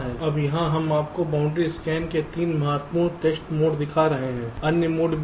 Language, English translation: Hindi, fine, now here we shall be show you three of the important test modes of the boundary scan